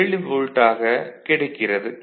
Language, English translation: Tamil, 7 volt ok